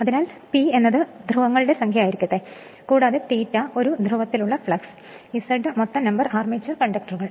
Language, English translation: Malayalam, So, let P is the number of poles, and phi is equal to flux per pole, Z is equal to total number armature conductors